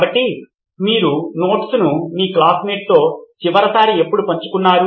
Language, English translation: Telugu, So when was the last time you shared your notes with your classmates